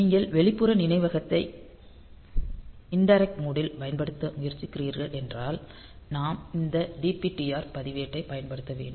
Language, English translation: Tamil, So, if you are trying to use external memory in indirect mode then we have to use this DPTR register ok